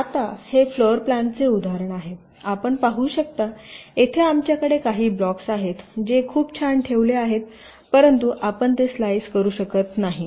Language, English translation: Marathi, you can see, here also we have some blocks which are very nicely placed but you cannot slice them